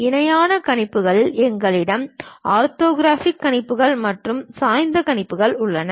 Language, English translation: Tamil, And in parallel projections, we have orthographic projections and oblique projections